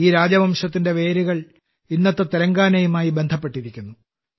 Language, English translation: Malayalam, The roots of this dynasty are still associated with Telangana